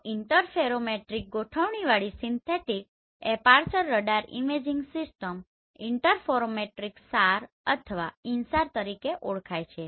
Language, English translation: Gujarati, So synthetic aperture radar imaging system with interferometric configuration is known as interferometric SAR or InSAR right